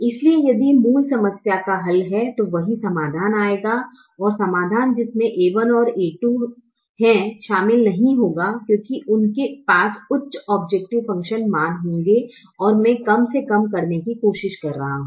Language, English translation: Hindi, so if the original problem has a solution, the same solution will come and solutions involving a one and a two will not come because they would have higher objective function values and i am trying to minimize